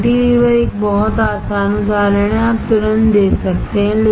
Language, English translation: Hindi, Cantilever is a very easy example, you can immediately give